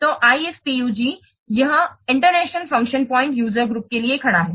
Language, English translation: Hindi, So, IF POG, it stands for International Function Points Users Group